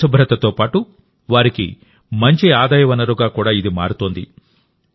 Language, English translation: Telugu, This is becoming a good source of income for them along with ensuring cleanliness